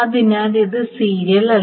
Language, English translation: Malayalam, So this is not serial